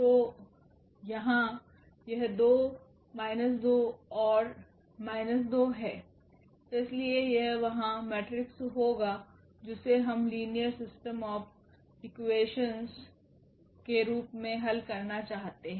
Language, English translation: Hindi, So, here this 2 minus 2 and minus 2, so that will be the matrix there which we want to solve as the system of linear equations